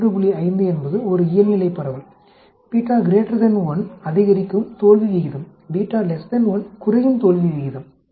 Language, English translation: Tamil, 5 is a normal distribution, beta greater than 1 increasing failure rate, beta less than 1 decreasing failure rate actually